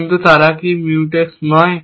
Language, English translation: Bengali, But, are they non Mutex